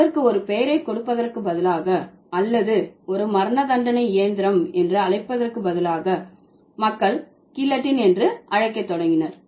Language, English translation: Tamil, So, instead of giving it a name or calling it an execution machine, people started calling it as as guillotine